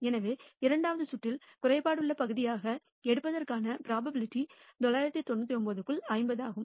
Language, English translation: Tamil, So, the probability of picking as defective part in the second round given that the first pick was non defective is 50 by 999